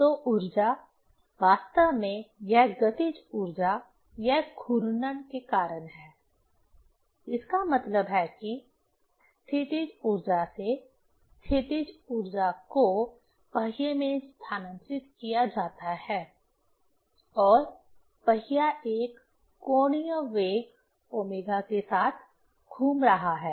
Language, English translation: Hindi, So, the energy, actually this kinetic energy, it is due to rotating; that means, from potential energy, potential energy is transferred to the wheel and wheel is rotating with an angular velocity omega